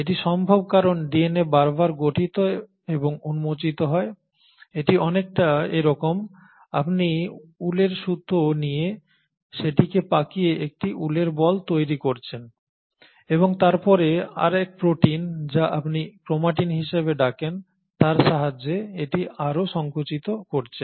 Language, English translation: Bengali, Now that is possible because the DNA gets reorganised and refolded it is like you take a thread of wool and then you start winding it to form a ball of wool and then further compact it with the help of a class of proteins which is what you call as a chromatin